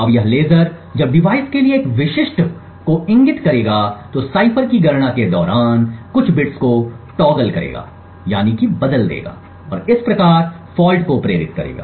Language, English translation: Hindi, Now this laser when it is pointed to a specific to the device would toggle some bits during the computation of the cipher and thus induce the fault